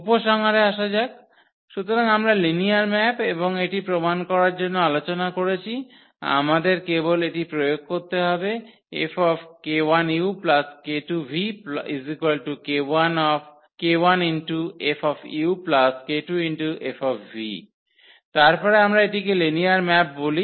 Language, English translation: Bengali, Coming to the conclusion here; so, we have discussed the linear map and to prove the linear map we just need to apply this F on this k 1 u plus k 2 v and if we get the k 1 F u plus k 2 F v then we call that the given map is the linear map